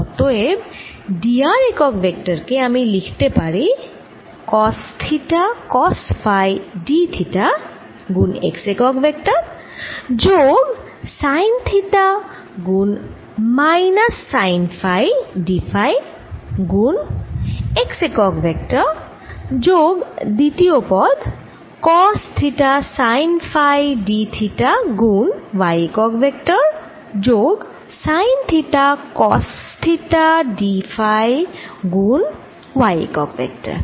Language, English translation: Bengali, therefore d r unit vector i can write as cos theta, cos phi d theta x plus sine theta, minus sine phi d phi x, plus the second term, cos theta sine phi d theta y plus sine theta, cos phi d phi y sorry, this is ah y plus this change, which is minus sine theta z